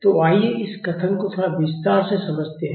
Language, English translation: Hindi, So, let us understand this statement a little in detail